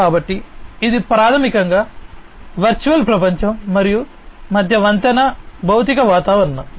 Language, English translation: Telugu, So, it is basically the bridging between the virtual world and the physical environment